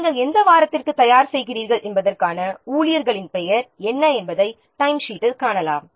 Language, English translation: Tamil, You can see in the timesheet is there what is the staff name, the for which week you are preparing